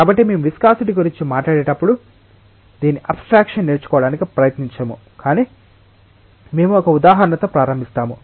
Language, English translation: Telugu, So, when we talk about viscosity we will not try to just learnt it in abstraction, but we will start with an example